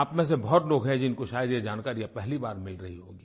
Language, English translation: Hindi, Many of you may be getting to know this for the first time